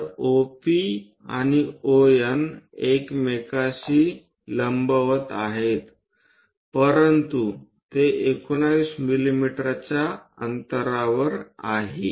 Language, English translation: Marathi, So, OP and ON are perpendicular with each other, but that is at 19 mm distance